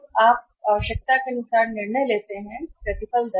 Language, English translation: Hindi, Now how do you decide by the required rate of return